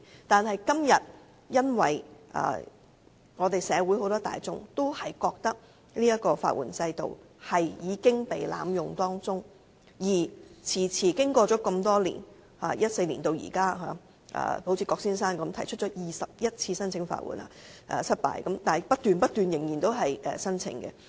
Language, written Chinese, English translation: Cantonese, 但是，今天社會大眾都認為法援制度已被濫用，好像郭先生般，由2014年至今共經歷了21次申請法援失敗，但仍然不斷提出申請。, Nevertheless members of the public are now of the view that the legal system has been abused . We can find an example in Mr KWOK who has applied for legal aid many times since 2014 but has experienced 21 times of unsuccessful applications . Despite all these he still keeps on lodging applications